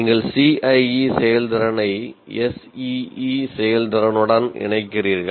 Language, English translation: Tamil, Now what you do is you combine the CIE performance with SEE performance